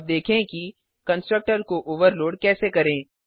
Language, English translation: Hindi, Let us now see how to overload constructor